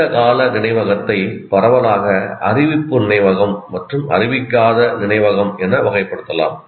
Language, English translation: Tamil, Now here, the long term memory can be broadly classified into declarative memory and non declarative memory